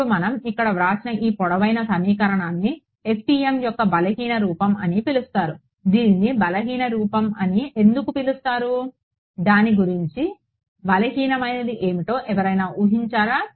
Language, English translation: Telugu, Now this longest looking question that we have written over here this is what is called the weak form of FEM why is it called the weak form any guesses what is weak about it